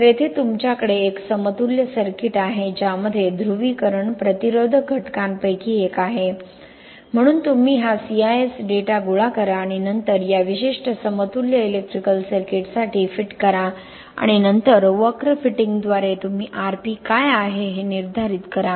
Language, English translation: Marathi, So here you have an equivalent circuit which has one of the component as polarisation resistance, so from these what you do, you collect this CIS data and then fit for this particular equivalent electrical circuit and then you determine by curve fitting you determine what is the Rp